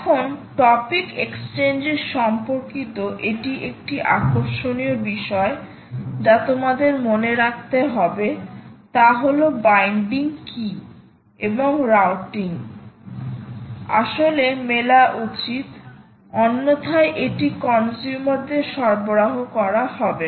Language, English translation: Bengali, this is an interesting thing that you have to note is that the binding key and the routing should actually match, otherwise it will not get delivered to the consumers